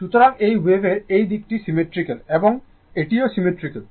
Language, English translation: Bengali, So, this wave this this side is symmetrical and this is also symmetrical